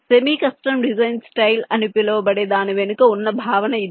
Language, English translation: Telugu, this is the concept behind this so called semi custom design style